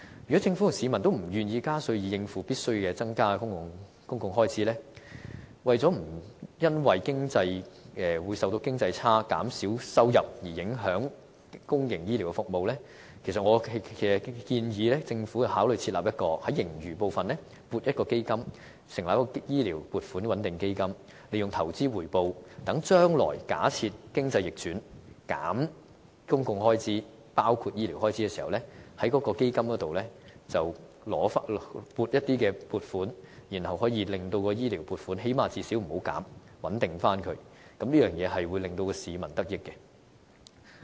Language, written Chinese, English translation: Cantonese, 如果政府和市民均不願意加稅以應付必須增加的公共開支，為了不會因為受到經濟差，政府收入減少，而影響公營醫療的服務，我建議政府考慮在盈餘部分撥款，設立醫療撥款穩定基金，利用投資回報，讓將來假設經濟逆轉，削減公共開支，包括醫療開支時，便可在該基金內撥款，最低限度不會削減醫療開支的撥款，以作穩定，這樣便可令市民得益。, If both the Government and the people are not willing to see a tax hike to pay for the public expenditure which will surely be on the rise then I suggest that in order to prevent any economic down cycles and decreases in government revenue from affecting public health care services the Government should consider earmarking a certain amount of funds from the fiscal surpluses to set up a health care funding stabilization fund so that in times of economic slowdown with cuts in public expenditure health care expenditure included we can make use of investment returns in the fund and bear the health care costs . In this way we at least do not have to cut health care expenditure then and are therefore able to stabilize the funding for the benefit of the people